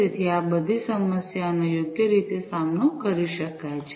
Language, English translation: Gujarati, So, all these problems could be dealt with appropriately